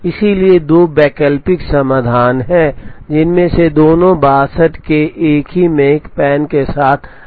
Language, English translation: Hindi, So, there are two alternate solutions, both of which are optimum with the same makespan of 62